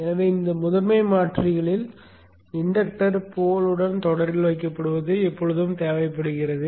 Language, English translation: Tamil, So in this primary converters it is always required that the inductor is placed in series with the pole